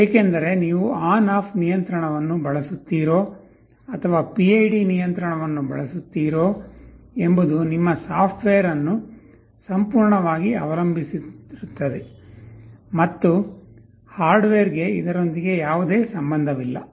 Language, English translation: Kannada, Because, you see whether you use ON OFF or PID control depends entirely on your software, and nothing to do with the hardware